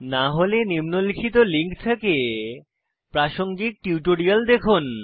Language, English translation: Bengali, If not, watch the relevant tutorials available at the following link